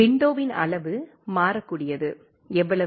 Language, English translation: Tamil, Size of the window can be variable, how much